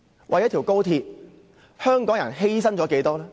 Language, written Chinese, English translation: Cantonese, 為了高鐵，香港人犧牲了多少？, How much sacrifices have Hong Kong people made for XRL?